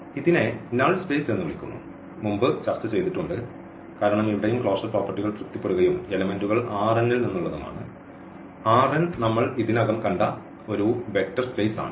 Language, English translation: Malayalam, So, this is called null space and has discussed before because here also those closure properties are satisfied and the elements are from R n; R n is a vector space already we have seen